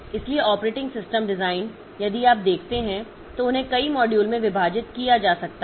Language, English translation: Hindi, So, operating system design if you look into, so they can be divided, they can be divided into a number of modules